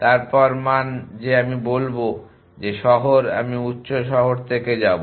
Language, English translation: Bengali, Then the value that I will tell is the city that I will go to from higher cities